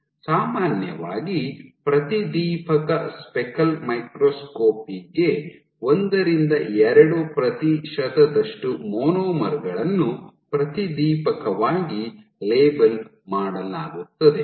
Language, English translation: Kannada, So, typically for fluorescent speckle microscopy order 1 to 2 percent of monomers are fluorescently labeled